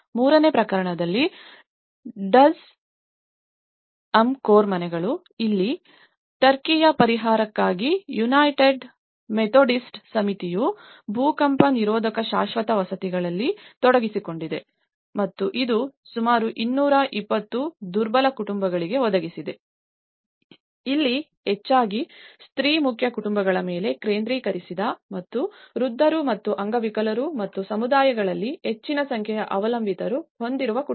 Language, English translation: Kannada, In the third case, Duzce UMCOR houses here, the United Methodist Committee on relief of Turkey was engaged in earthquake resistant permanent housing and it has provided for about 220 vulnerable families and here, it has mostly focused on the female headed households and the elderly and the disabled and the families with a large number of dependents within the communities